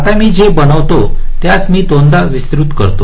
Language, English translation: Marathi, now, what i make, i make it wider, say by two times